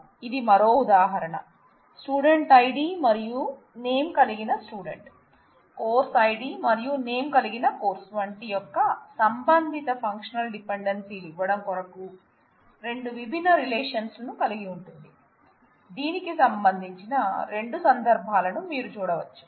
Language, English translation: Telugu, So, this is just another example, we have 2 different relations Student give the student id and name, Courses giving course id and name and the corresponding functional dependencies in them, you can see 2 instances of that